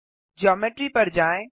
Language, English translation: Hindi, Go to Geometry